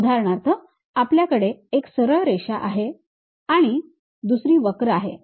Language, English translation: Marathi, For example, we can have one is a straight line other one is a curve